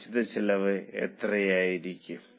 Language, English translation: Malayalam, How much will be the fixed costs